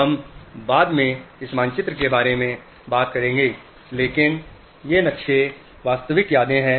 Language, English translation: Hindi, We will talk about this maps later on, but these maps are the real memories